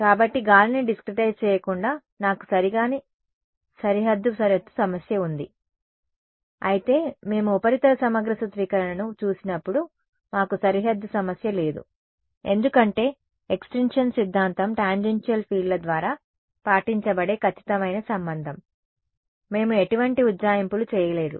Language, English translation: Telugu, So, apart from discretizing air I have the problem of inexact boundary condition whereas when we look at surface integral formulation, we did not have any problem of boundary because the extinction theorem was the exact relation obeyed by tangential fields, we did not make any approximations, we did not have to include any air, it is exactly the relation right